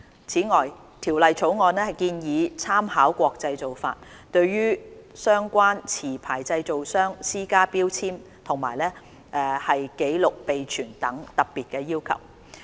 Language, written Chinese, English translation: Cantonese, 此外，《條例草案》建議參考國際做法，對相關持牌製造商施加標籤及紀錄備存等特別要求。, Moreover it is proposed in the Bill that we should make reference to international practices by imposing specific labelling and record - keeping requirements on licensed manufacturers of ATPs